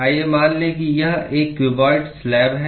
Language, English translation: Hindi, Let us assume that it is a cuboid slab